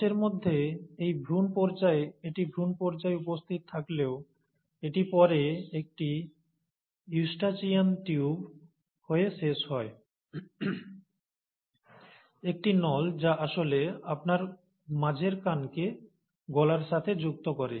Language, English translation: Bengali, Well in humans, though it is present in the embryonic stage, it later ends up becoming a ‘Eustachian Tube’, tube or a tube which actually connects your middle ear to the nose